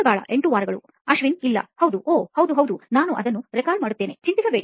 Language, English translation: Kannada, 8 weeks, no Ashwin, yes, ohh, ya, ya, I will record it, do not worry